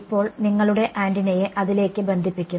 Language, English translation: Malayalam, Now, it is now you connect your antenna to it right